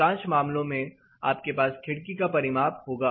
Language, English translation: Hindi, Mostly you will have the window dimension